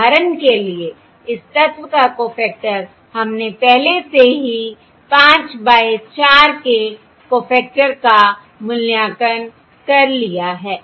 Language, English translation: Hindi, we have already evaluated the cofactor of 5 by 4